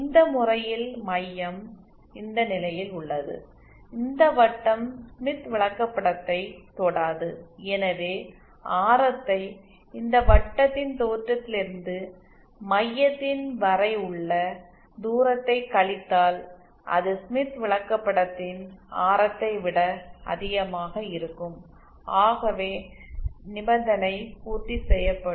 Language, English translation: Tamil, Let us see the case, in this case the center is at this position, this circle does not touch the smith chart, so the radius if I subtract the radius from the distance of the center of this circle from the origin and that will be greater than the radius of smith chart then this condition is satisfied